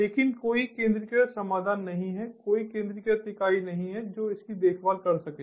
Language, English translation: Hindi, but there is no centralized solution, there is no centralized entity that can take care of it